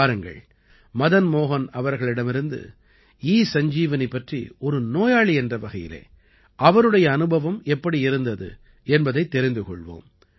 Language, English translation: Tamil, Come, let us know from Madan Mohan ji what his experience as a patient regarding ESanjeevani has been